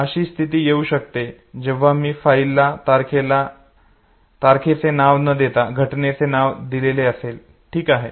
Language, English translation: Marathi, There could be a situation if I know, give file name not by date, but by event okay